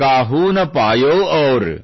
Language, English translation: Kannada, Kaahu na payau aur"